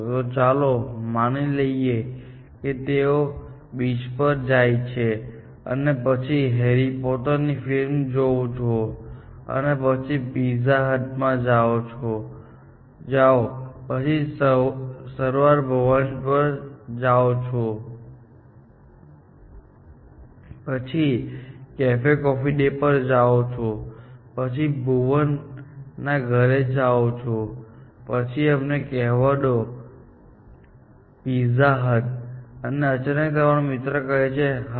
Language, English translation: Gujarati, So, let us say, go to the beach and then, go and see harry porter; and then, go to pizza hut; then, go to Saravana Bhavan; then, go to Cafe Coffee Day; then, go to Bhuvan’s Home; then go to let us say, pizza hut; and suddenly, your friend says, yes